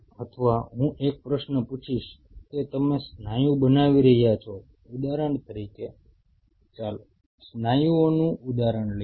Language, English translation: Gujarati, Or I will ask a question that you are growing the muscle say for example, let us take the example of muscles